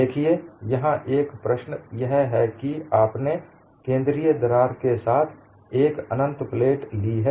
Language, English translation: Hindi, See, one of the issues here is, you have taken an infinite plate with a central crack